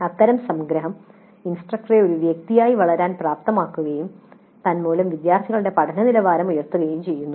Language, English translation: Malayalam, Such summarization enables the instructor to grow as a person and consequently leads to improvement in the quality of student learning